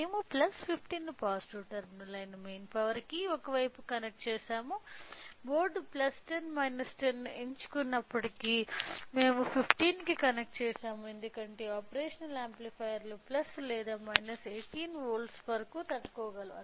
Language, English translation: Telugu, So, we have connected the plus 15 to the main power one side which is the positive terminal; even though the board choose plus 10 minus 10 we have connected to the 15 because the operational amplifiers can be with stand up to plus or minus 18 volts